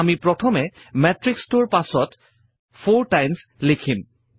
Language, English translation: Assamese, We will first write 4 times followed by the matrix